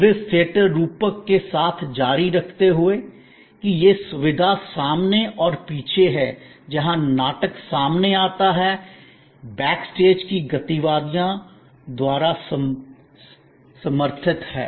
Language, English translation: Hindi, Continuing with the service theater metaphor, that there are these facility wise front and back, where the drama unfolds, supported by activities at the back stage